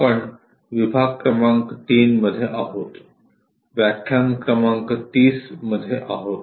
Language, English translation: Marathi, We are in module number 3, lecture number 30